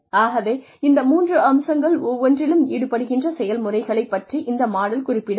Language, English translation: Tamil, So, it did not talk about the processes involved, in each of these three aspects